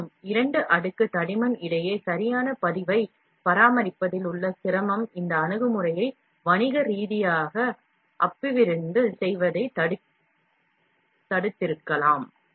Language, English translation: Tamil, However, the difficulty in maintaining a correct registration between the two layer thickness has probably prevented this approach for being developed commercially